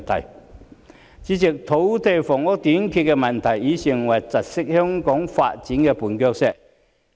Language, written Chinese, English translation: Cantonese, 代理主席，土地房屋短缺的問題已成為窒礙香港發展的絆腳石。, Deputy President the shortage of land and housing has become a stumbling block impeding the development of Hong Kong